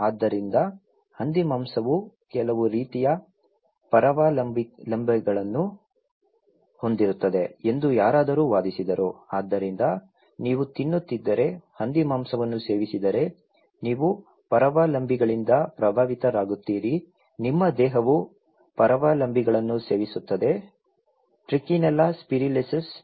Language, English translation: Kannada, So, somebody argued that the pork it carries some kind of parasites so, if you are eating, consuming pork you will be affected by parasites, your body will be affect, consuming also parasites; Trichinella spiralis